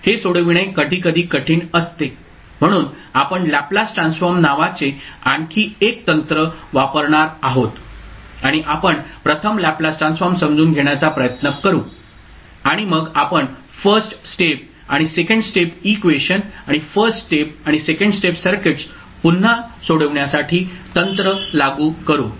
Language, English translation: Marathi, It is sometimes difficult to solve, so we will use another technic called laplace transform and we will try to understand first the laplace transform and then we will apply the technic to solve this first order and second order equations and first order and second order circuits again